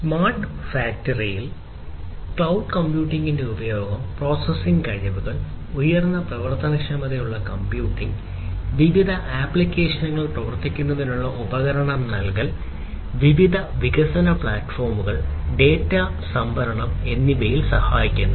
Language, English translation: Malayalam, So, use of cloud computing in smart factory helps in the processing capabilities, providing the capability of high performance computing, giving tools for running different applications, giving tools for different development platforms, giving tools for storing the data easily